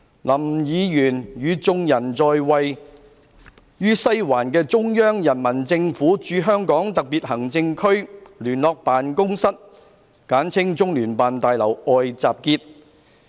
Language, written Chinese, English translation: Cantonese, 林議員與眾人在位於西環的中央人民政府駐香港特別行政區聯絡辦公室大樓外集結。, Mr LAM and the people gathered outside the building of the Liaison Office of the Central Peoples Government in the Hong Kong Special Administrative Region in Sai Wan